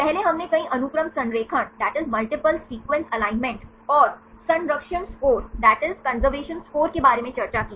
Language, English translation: Hindi, Earlier we discussed about multiple sequence alignment and conservation score